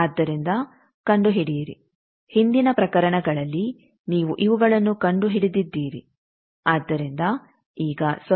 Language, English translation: Kannada, So find out in previous case you have found these so now 0